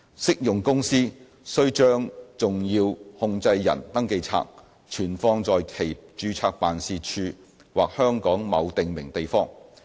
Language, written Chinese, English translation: Cantonese, 適用公司須將"重要控制人登記冊"存放在其註冊辦事處或香港某訂明地方。, An applicable company will be required to keep an SCR at its registered office or a prescribed place in Hong Kong